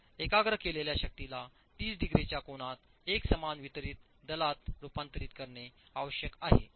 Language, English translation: Marathi, So the concentrated force needs to be converted to a uniform or distributed force with an angle of 30 degrees